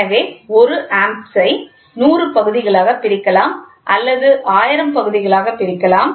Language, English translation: Tamil, So, 1 Amp can be divided into 100 parts